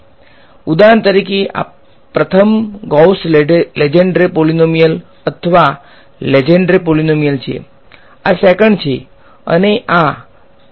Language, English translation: Gujarati, So, for example, this is the first Gauss Lengedre polynomial or Lengedre polynomial, this is the second and this is p 2 right